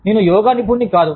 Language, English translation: Telugu, I am no yoga expert